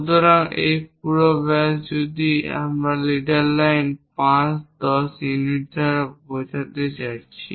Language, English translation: Bengali, So, this entire diameter if we are going to show it by leader line 5 10 units